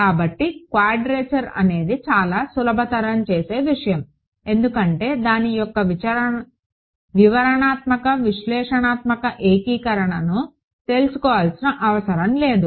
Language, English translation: Telugu, So, quadrature is a very greatly simplifying thing because it does not need me to know the detailed analytical integration of whatever right